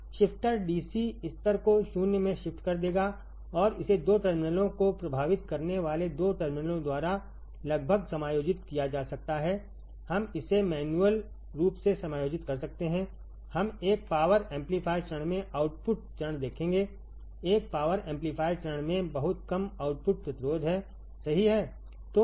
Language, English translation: Hindi, So, DC level would be ca close to 0 level shifter will shift DC level to 0 and this can be adjusted by nearly by a distal 2 terminals bearing 2 terminals, we can adjust it manually we will see output stage in a power amplifier stage in a power amplifier stage has very small output resistance right